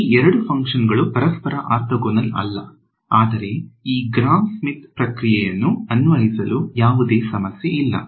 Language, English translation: Kannada, So, these two functions are not orthogonal to each other, but there is no problem I can apply this Gram Schmidt process